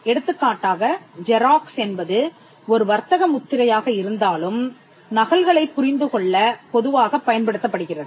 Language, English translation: Tamil, For instance, Xerox though it is a trademark is commonly used to understand photocopies